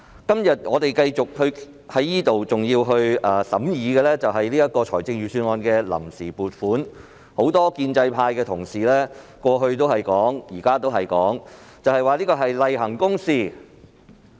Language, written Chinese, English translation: Cantonese, 今天我們繼續在此審議財政預算案的臨時撥款決議案，而很多建制派同事在過去及現在均形容這是例行公事。, We are here to continue the deliberation on the Vote on Account Resolution of the Budget today and according to the comments made by many fellow colleagues of the pro - establishment camp in the past and at present this is just a routine